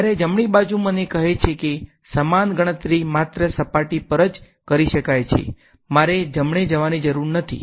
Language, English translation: Gujarati, Whereas, the right hand side is telling me that the same calculation can be done only on the surface I need not go in right